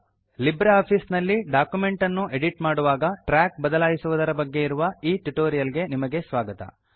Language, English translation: Kannada, Welcome to the tutorial on LibreOffice Writer Track changes while Editing a document